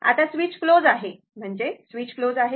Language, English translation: Marathi, Now, switch is closed; that means, switch is closed right